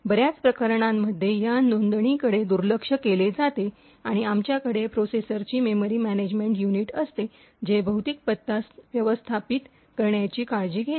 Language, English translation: Marathi, In most of the cases, this particular entry is ignored and we have the memory management unit of the processor which takes care of managing the physical address